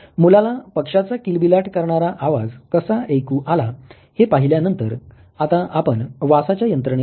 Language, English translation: Marathi, Having seen now how this child was actually listening to the chirping sound of the bird let us now come to the mechanism of olfaction okay